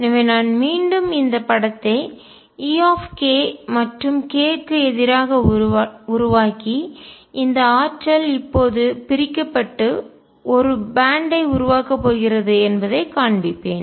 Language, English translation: Tamil, So, I will again make this picture e k versus k and show that these energy is now are going to split and make a band